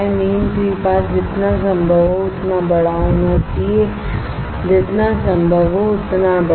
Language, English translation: Hindi, Mean free path should be as large as possible, as large as possible